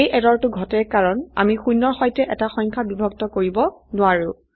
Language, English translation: Assamese, This error occurs as we cannot divide a number with zero